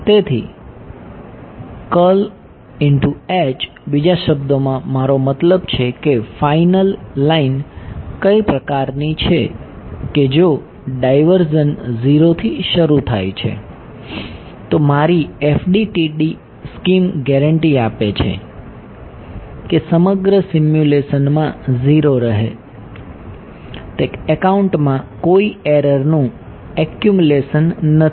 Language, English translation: Gujarati, So, in other words I mean what sort of final line is that if divergence starts out as 0, my FDTD scheme guarantees that at remain 0 throughout the simulation ok, there is no accumulation of error on that account ok